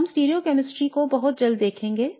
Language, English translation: Hindi, We look at the stereochemistry very shortly